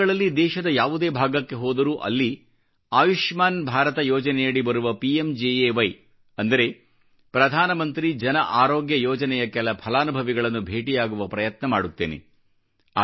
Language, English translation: Kannada, At present, whenever I'm touring, it is my sincere effort to meet people beneficiaries of 'PMJAY' scheme under Ayushman Bharat's umbrella